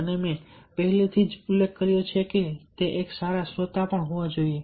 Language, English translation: Gujarati, and i have already mentioned that he should also be a good listener